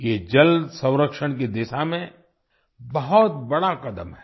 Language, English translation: Hindi, This is a giant step towards water conservation